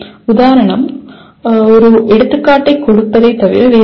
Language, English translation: Tamil, Exemplification is nothing but giving an example